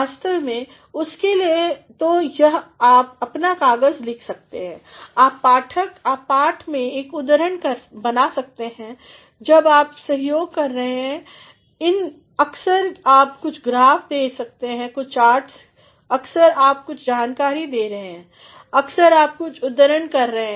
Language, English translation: Hindi, Actually, for that either while you are writing your paper, you can make an in text citation, while you are supporting sometimes you are providing some graphs with some charts, sometimes you are providing some data, sometimes you are providing some quotation